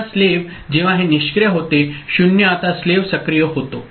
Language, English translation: Marathi, Now, slave when this becomes inactive 0 now slave becomes active right